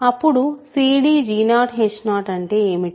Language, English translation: Telugu, Then what is c d g 0 h 0